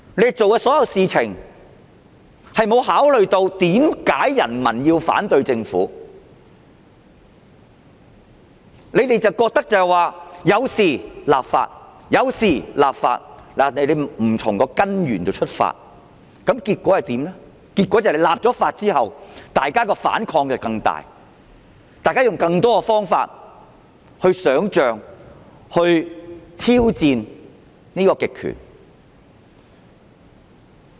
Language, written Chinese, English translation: Cantonese, 政府做的所有事情並無考慮為何人民要反對政府，只是覺得有事就要立法，並沒有從根源出發，結果是立法後反抗更大，大家用更多方法想象和挑戰極權。, Whatever the Government did it gave no regard to why the people opposed the Government . It merely thought that when there was any trouble legislation should be introduced . It did not tackle from the root